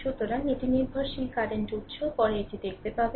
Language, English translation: Bengali, So, it will be also your dependent current source later will see this right